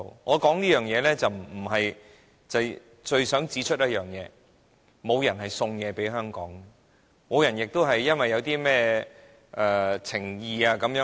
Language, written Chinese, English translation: Cantonese, 我說出這段歷史，是我最想指出，沒有人送東西給香港，亦沒有人因甚麼情誼而給香港甚麼。, I reveal this history because I want to point out that no one will give Hong Kong anything as gift and no one has ever given Hong Kong anything out of brotherhood